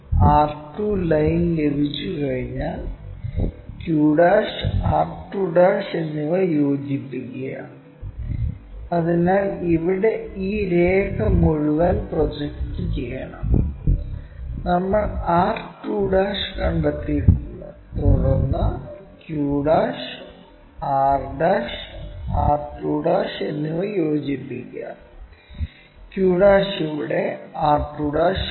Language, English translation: Malayalam, Once r2 line is there, join q' and r2'; so for that we have to project this entire line here we have located r2', then join q' and r' r2'; q' here, r2' here